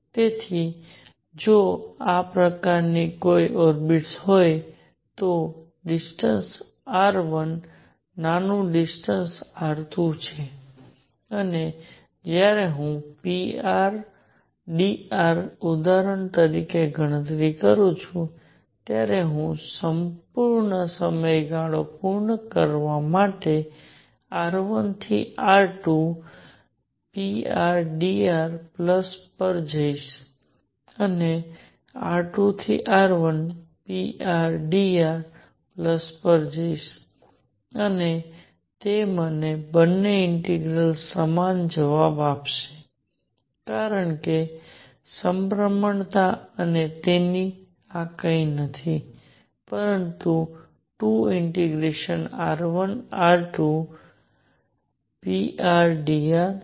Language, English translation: Gujarati, So, if there is a given orbit like this, there is a distance r 1 smaller distance r 2 and when I calculate for example, p r d r, I will be going from r 1 to r 2 p r d r plus to complete the full period I will be coming from r 2 to r 1 p r d r and that would give me both integrals give me the same answer because the symmetry and therefore, this is nothing, but 2 times r 1 to r 2 p r d r